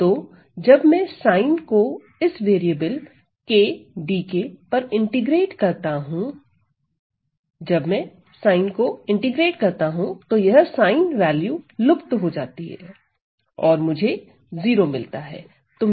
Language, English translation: Hindi, So, when I integrate sin over this variable k dk, when I integrate this sin value, it disappears and this integral is going to give me 0